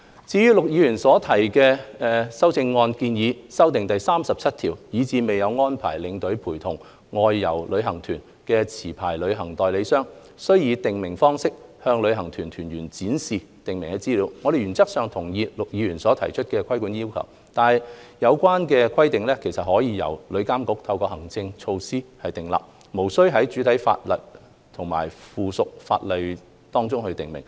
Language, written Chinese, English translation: Cantonese, 至於陸議員修正案建議修訂《條例草案》第37條，以使未有安排領隊陪同外遊旅行團的持牌旅行代理商，須以訂明方式向旅行團團員展示訂明資料，我們原則上同意陸議員提議的規管要求，但有關規定可由旅監局透過行政措施訂立，無須在主體法例及附屬法例中訂明。, Regarding Mr LUKs proposed amendment to clause 37 which requires a licensed travel agent to display in the prescribed way the prescribed information to the participants of an outbound tour group if no tour escort has been arranged to accompany the tour group we agree with this regulatory rule as proposed by Mr LUK in principle . However this rule does not have to be provided expressly in the primary and subsidiary legislation but can be introduced by TIA through administrative measures